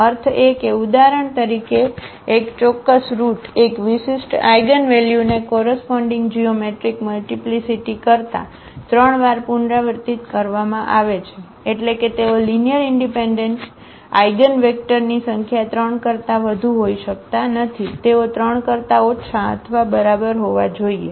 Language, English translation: Gujarati, Meaning that for example, one a particular root; one particular eigenvalue is repeated 3 times than the corresponding geometric multiplicity meaning they are number of linearly independent eigenvectors cannot be more than 3, they have to be less than or equal to 3